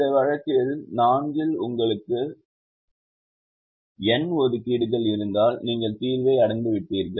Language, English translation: Tamil, if you have n assignments, in this case four, you have reached the solution